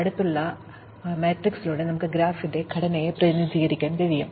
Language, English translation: Malayalam, Then we can represent the structure of the graph through an adjacency matrix